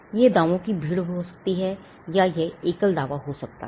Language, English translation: Hindi, It could be a multitude of claims or it could be a single claim